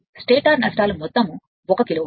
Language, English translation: Telugu, The stator losses total 1 kilowatt